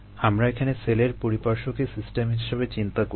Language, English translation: Bengali, we are going to consider the surrounding of the cell as isas a system